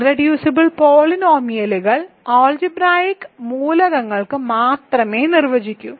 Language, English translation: Malayalam, So, irreducible polynomials are only defined for algebraic elements